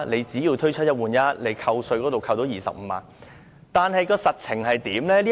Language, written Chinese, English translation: Cantonese, 雖說推出"一換一"，已經可以扣稅25萬元，但實情是怎樣的呢？, It is said that it can bring a tax reduction of 250,000 . But is this really true?